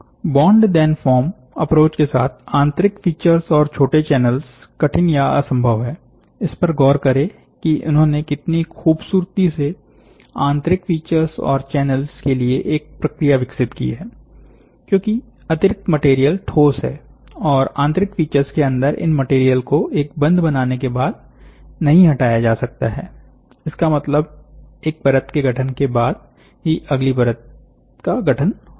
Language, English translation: Hindi, The internal features and the small channels are difficult or impossible with bond, then form approach look at it how beautifully they have developed a process for internal features and channels, because the excess material is solid and these material inside the internal features cannot be removed once bonded so; that means, to say some one layer information, then the next layer information will be done